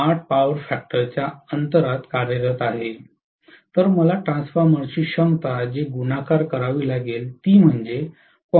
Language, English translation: Marathi, 8 power factor lag with 100 percent load then I have to multiply whatever is the capacity of the transformer, that is 100 percent multiplied by 0